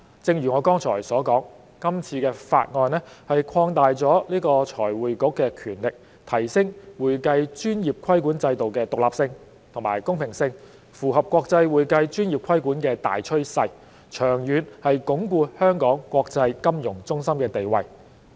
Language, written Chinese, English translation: Cantonese, 正如我剛才所說，今次的法案擴大了財匯局的權力，提升會計專業規管制度的獨立性和公平性，符合國際會計專業規管的大趨勢，長遠能鞏固香港國際金融中心的地位。, As I have said earlier this Bill expands the powers of FRC to enhance the independence and fairness of the regulatory regime of the accounting profession . This is in line with the international trend on accounting profession regulation and it will reinforce Hong Kongs status as an international financial centre in the long term